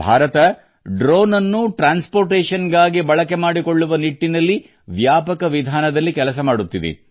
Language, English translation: Kannada, India is working extensively on using drones for transportation